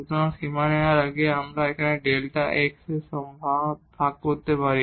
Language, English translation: Bengali, So, before we take the limit we can divide by this delta x